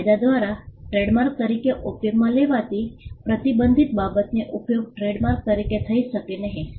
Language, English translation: Gujarati, A matter prohibited by law to be used as trademark cannot be used as a trademark